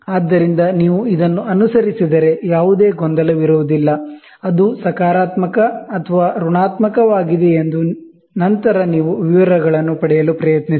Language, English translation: Kannada, So, this if you follow, then there will be no confusion; whether it is positive or negative and then you try to get the details